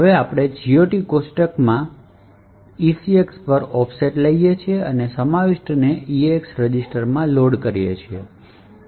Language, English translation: Gujarati, Now, we take offset in the GOT table and that to ECX and load the contents into EAX register